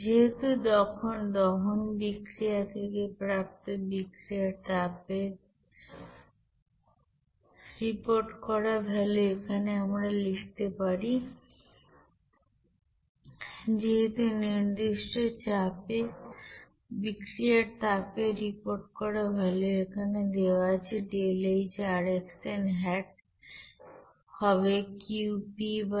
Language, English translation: Bengali, So since the reported value of heat of reaction from this combustion reaction we can write here since reported value of reaction, heat or heat of reaction at constant pressure process the value of that heat of reaction as deltaHrxn hat at specific condition that will be is equal to Qp by n